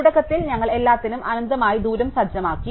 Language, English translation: Malayalam, So, initially we set the distance to be infinity for everything, right